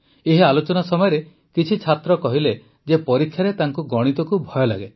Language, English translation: Odia, During this discussion some students said that they are afraid of maths in the exam